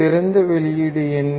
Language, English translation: Tamil, what is the ideal output